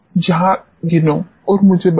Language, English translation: Hindi, Just count and tell me